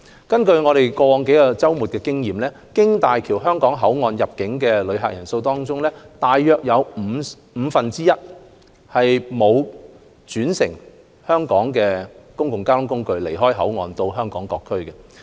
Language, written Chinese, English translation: Cantonese, 根據過去數個周末的經驗，經大橋香港口岸入境的旅客人次中，約有五分之一沒有轉乘本港的公共交通工具離開口岸到香港各區。, Based on the experience gained from the past few weekends around one fifth of visitors arriving at Hong Kong through HZMB BCF did not leave BCF to visit other districts in Hong Kong by taking local public transportation